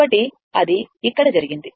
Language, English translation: Telugu, So, that has been done here